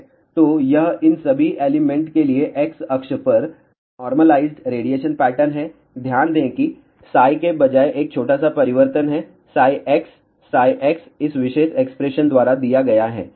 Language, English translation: Hindi, So, this is the normalized radiation pattern for all these elements over here along x axis, notice there is a small change instead of psi there is a psi x psi x is given by this particular expression